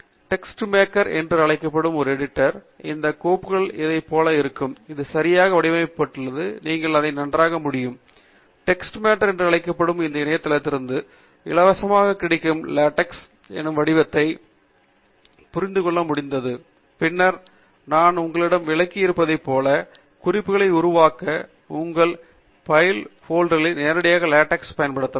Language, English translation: Tamil, In an editor called TeXmaker, the same file would look like this, where it is neatly formatted and you will be able read it much better, because this editor freely available from the Internet called TeXmaker, is able to understand the format of LaTeX, and as I will illustrate later to you, you can use this bib file directly in your LaTeX documents to make references